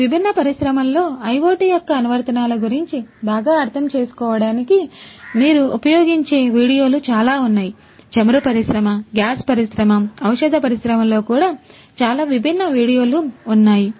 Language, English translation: Telugu, There are lots of videos that you could also use to you know get better understanding of these the applications of IoT in this different industry; even in the oil industry, gas industry, pharmaceutical industry, there are a lot of different videos